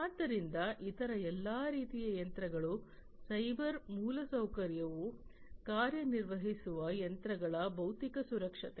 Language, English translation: Kannada, So, other all kinds of machines the physical security of the machines on which the cyber infrastructure operate